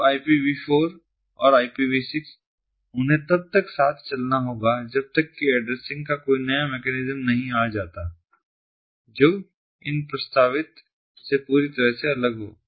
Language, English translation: Hindi, so these ipv four and ipv six, they have to what hand in hand until there is a new solution for addressing, a new mechanism, a mechanism which is completely different from these is proposed